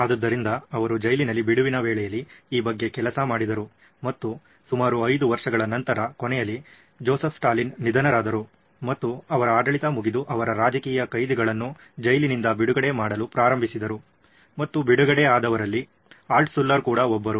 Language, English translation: Kannada, So he worked on this in the spare time in the prison and 5 years later, the prison’s period was 5 years about 5 years and at the end of 5 years, Joseph Stalin passed away and they started releasing political prisoners from the Joseph Stalin regime and Altshuller was one of them